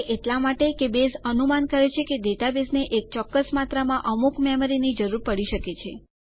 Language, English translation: Gujarati, This is because, Base anticipates a certain amount of memory that the database may need